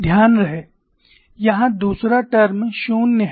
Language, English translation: Hindi, Mind you the second term is 0 here